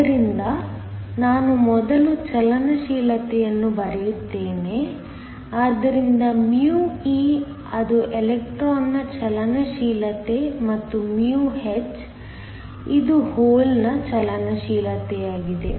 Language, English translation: Kannada, So, let me first write down the mobility, so μe that is the mobility of the electron and μh which is the mobility of the hole